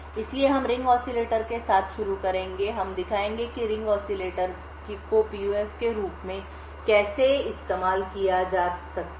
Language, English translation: Hindi, So, we will start with ring oscillator, we will show how ring oscillator can be used as a PUF